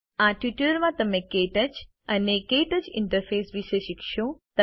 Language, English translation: Gujarati, In this tutorial you will learn about KTouch and the KTouch interface